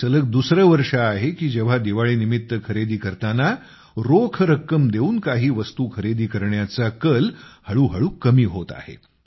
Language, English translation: Marathi, This is the second consecutive year when the trend of buying some goods through cash payments on the occasion of Deepawali is gradually on the decline